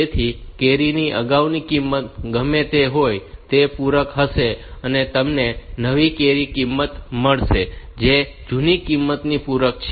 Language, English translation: Gujarati, So, whatever be the previous value of carry, that will be complemented and you will get the new carry value which is the complement of the other one